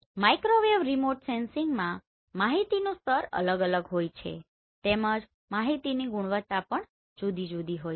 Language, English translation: Gujarati, In Microwave Remote Sensing the level of information is different the quality of the information is different